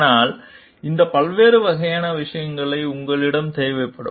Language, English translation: Tamil, And so, these different types of things will be required from you